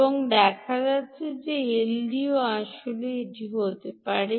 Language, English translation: Bengali, and it turns out ldo can actually do that as well